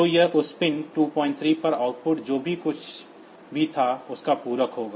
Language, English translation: Hindi, So, it will be complimenting the bit whatever was the output on that pin 2